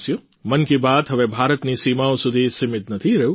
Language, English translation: Gujarati, 'Mann Ki Baat' is no longer confined to the borders of India